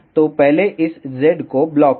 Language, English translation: Hindi, So, for first block this z